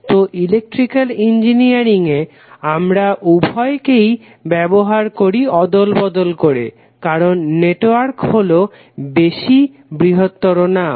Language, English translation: Bengali, So in Electrical Engineering we generally used both of them interchangeably, because network is more generic terms